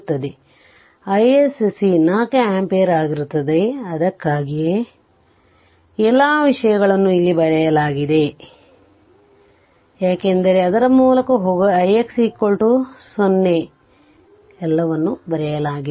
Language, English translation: Kannada, So, i s c will be 4 ampere so, that is why that is why if you come to this right, so all this things are written here, for you just go through it right i x dash is equal to 0 i dash is equal to 0 every everything is written